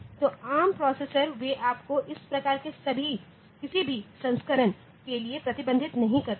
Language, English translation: Hindi, So, ARM processor they do not restrict you to have any of this variants